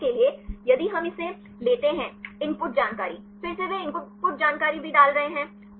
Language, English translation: Hindi, For example, if we take this; the input information again they put this is also input information